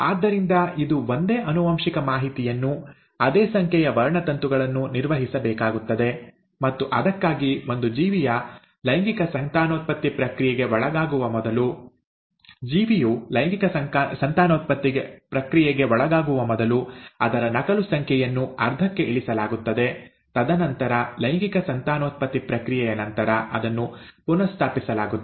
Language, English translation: Kannada, So it has to maintain the same genetic information, the same number of chromosomes and for that, it is important that before an organism undergoes a process of sexual reproduction, its copy numbers are reduced to half, and then, after the process of sexual reproduction, it is restored back